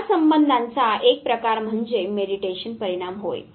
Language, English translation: Marathi, One form of relationship is what is called as mediation effect